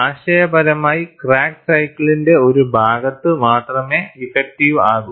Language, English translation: Malayalam, Conceptually, the crack is effective, only part of the cycle